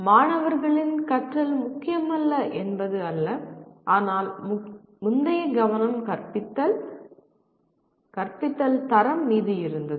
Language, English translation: Tamil, It is not that student learning was not important but the focus earlier was teaching, the quality of teaching but now the focus is quality of student learning